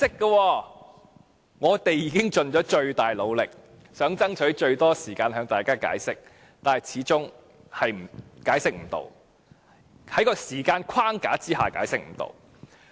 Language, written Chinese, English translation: Cantonese, "雖然我們已盡了最大努力，想爭取最多時間向大家解釋，但始終解釋不到——在這個時間框架下解釋不到。, No matter how hard we have tried to fight for more time to explain our amendments to Members we have failed; we have failed to explain them under this time frame